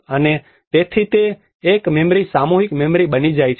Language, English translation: Gujarati, And so that it becomes a memory a collective memory